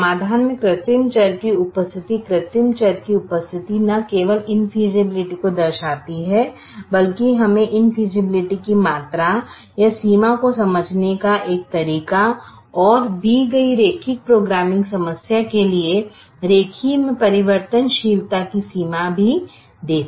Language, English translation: Hindi, so the presence of the artificial variable, the presence of the artificial variable in the solution, not only indicates infusibility but also gives us a way to understand the amount of invisibility, are the extent of infeasibility to the linear programming problem